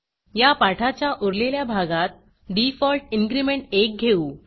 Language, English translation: Marathi, In the rest of this tutorial, we will stick to the default increment of 1